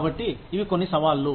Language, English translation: Telugu, So, these are some of the challenges